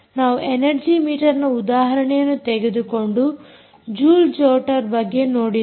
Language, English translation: Kannada, we took examples of an energy meter particularly we looked at joule jotter